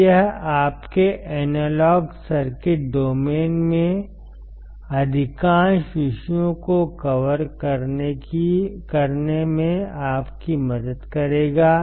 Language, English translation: Hindi, So, it will help you to cover most of the topics, in your analog circuit domain